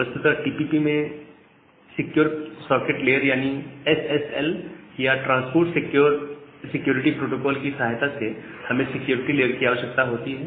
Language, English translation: Hindi, So, you do not require another security layer that we require in case of TCP with the help of SSL or secure socket layer or transport layer security protocols